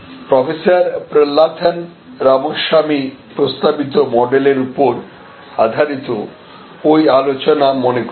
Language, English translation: Bengali, So, remember that discussion based on the models proposed by Professor Prahalathan Ramaswamy